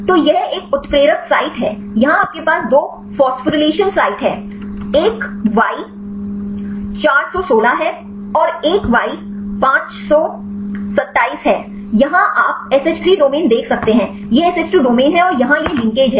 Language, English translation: Hindi, So, it is a catalytic site; here you have the two phosphorylation site, one is a Y 416; another one is Y 527; here you can see the SH3 domain, this is SH2 domain and here this is the linkage